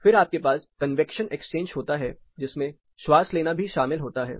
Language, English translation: Hindi, Then you have convection exchange which includes the respiration